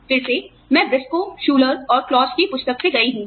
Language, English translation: Hindi, Again, I have gone through, the book by Briscoe, Schuler, and Claus